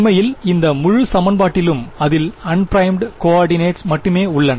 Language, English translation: Tamil, In fact, this whole equation has only unprimed coordinates in it ok